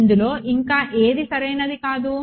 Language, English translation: Telugu, What else is not correct about it